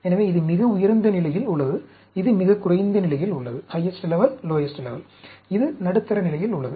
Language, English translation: Tamil, So, this is at the highest level; this is at the lowest level; this is at the middle level